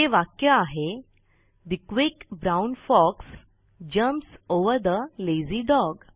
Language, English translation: Marathi, In this case it is The quick brown fox jumps over the lazy dog